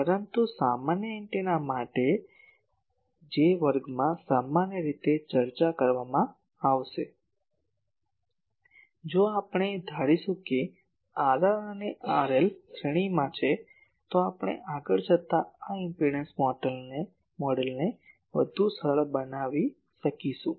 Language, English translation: Gujarati, But for simple antennas which will be generally discussing in this class, if we assume that R r and R l are in series, then we can further simplify this impedance model that will go